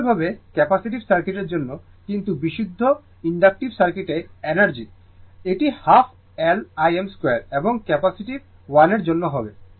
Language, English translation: Bengali, Similarly, for capacitive circuit right, but energy in the pure inductive circuit; it will be half L I m square and for the capacitive 1